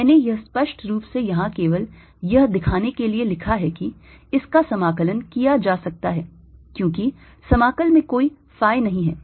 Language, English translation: Hindi, i wrote this explicitly out here just to show that this can be integrated over, because in the integrant there is no phi